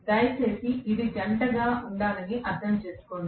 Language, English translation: Telugu, Please understand it has to be in pairs